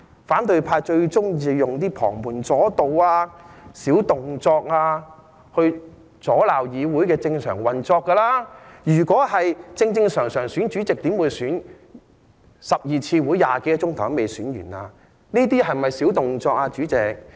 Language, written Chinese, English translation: Cantonese, 反對派最喜歡用旁門左道、小動作來阻攔議會的正常運作，如果根據正常程序選內會主席，怎會召開了12次會議、用了20多小時，也未能選出內會正副主席？, The opposition camp is fond of doing heretical tricks and cunning acts to obstruct the normal operation of the Council . If the normal procedures of electing the Chairman of the House Committee had been followed how could the Chairman and Deputy Chairman of the House Committee still not have been elected after spending over 20 hours in 12 meetings?